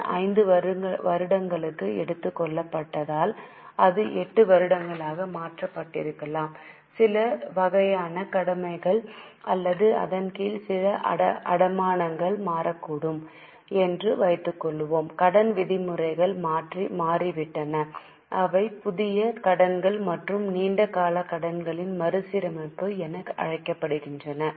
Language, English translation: Tamil, Suppose the loan is taken for five years, maybe it is changed to eight years, some type of obligation or some mortgage under it might have changed, the loan terms have changed, that's called as novation and restructuring of long term loans